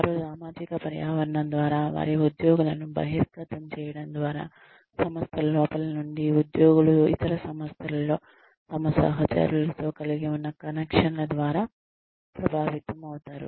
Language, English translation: Telugu, They are influenced by the social environment, by the exposure of their employees, from within the organization, by the connections employees have with their counterparts in other organizations